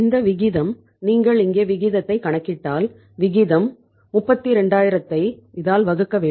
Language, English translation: Tamil, This ratio is indicating that if you calculate the ratio here then the ratio will be 32000 divided by this